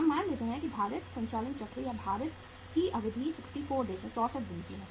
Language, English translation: Hindi, We assume the weighted or duration of weighted operating cycle is 64 days